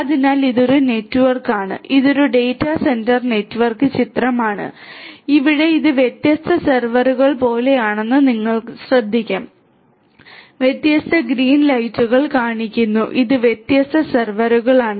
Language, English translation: Malayalam, So, it is a network it is a data centre network picture and here as you will notice these are like different different servers, showing this different green lights these are these different servers that you have like this there are different servers